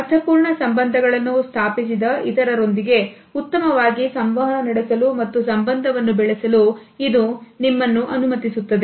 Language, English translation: Kannada, It allows you to better communicate with others established meaningful relationships and build rapport